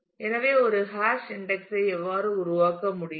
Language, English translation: Tamil, So, this is how a hash index can be created